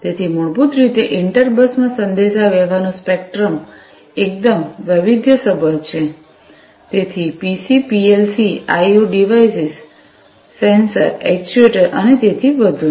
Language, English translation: Gujarati, So, basically the spectrum of communication in inter bus is quite widely varied, so PCs, PLCs, I/O devices, sensors, actuators, and so on